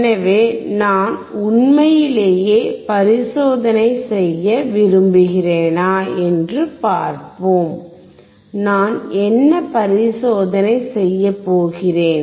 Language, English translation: Tamil, So, let us see if I really want to perform the experiment, and what experiment I will do